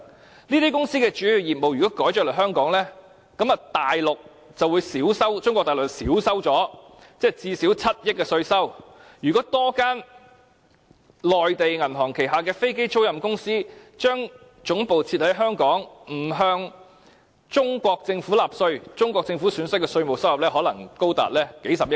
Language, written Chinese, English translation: Cantonese, 如果這些公司把主要業務轉移到香港，中國大陸的稅收最低限度會減少7億元，如果多1間內地銀行旗下的飛機租賃公司把總部設在香港，不用向中國政府納稅，中國政府損失的稅務收入可能高達數十億元。, If these companies transfer their main businesses to Hong Kong the Mainland Government is going to lose at least 700 million in tax . If one more Mainland bank relocates the headquarters of its aircraft leasing subsidiary to Hong Kong and hence stop paying tax to the Chinese Government the Chinese Government may lose as much as billions of tax revenue